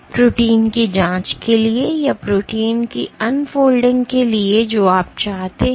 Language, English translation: Hindi, So, for probing proteins, for probing proteins or protein unfolding you want